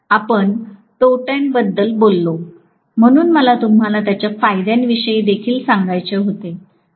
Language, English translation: Marathi, We talked about disadvantage, so I wanted to tell you about the advantage as well